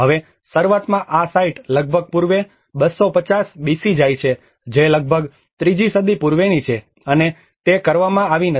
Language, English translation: Gujarati, Now, initially these sites goes back to almost pre 250 BC which is almost to the 3rd century BC as well and they are not done